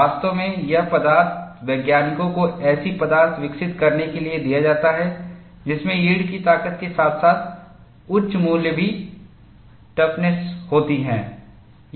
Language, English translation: Hindi, In fact, it is the task given to material scientists, to develop materials which have high value of yield strength, as well as high value of toughness